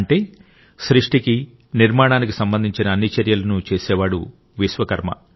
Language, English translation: Telugu, Meaning, the one who takes all efforts in the process of creating and building is a Vishwakarma